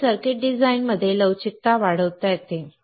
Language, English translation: Marathi, Flexibility in circuit design hence can be increased